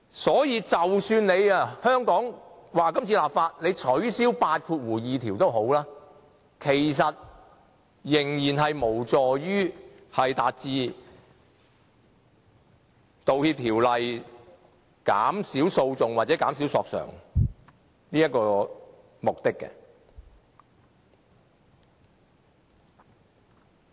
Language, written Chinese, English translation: Cantonese, 所以，即使香港這次立法取消第82條，其實仍然無助《條例草案》達致減少訴訟或索償的目的。, Hence even if clause 82 is repealed in this Bill in Hong Kong the Bill still cannot achieve the aim of minimizing lawsuits or claims